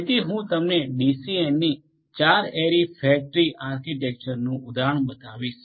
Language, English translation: Gujarati, So, I am going to show you an example of a 4 ary fat tree architecture of DCN